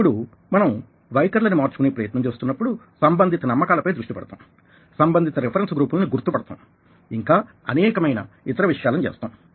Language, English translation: Telugu, now, when we are trying to change attitudes, we target relevant believes, locate relevant reference groups and we do a lot of other things